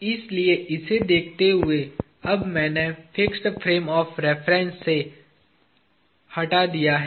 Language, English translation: Hindi, So looking at this, now I have removed from the fixed frame of reference